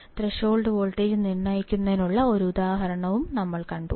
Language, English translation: Malayalam, Then we have seen an example of determining the threshold voltage